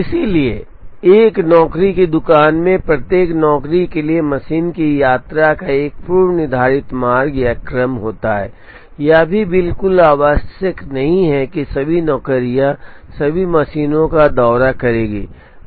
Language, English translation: Hindi, So, in a job shop each job has a pre specified route or order of visit of the machine, it is also not absolutely necessary that all the jobs will visit all the machines